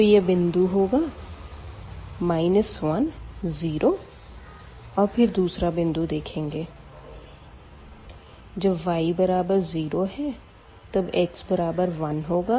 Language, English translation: Hindi, So, this is the point 1 0 and then we can draw this line given by x minus y is equal to 1